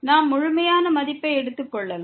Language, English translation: Tamil, We can take the absolute value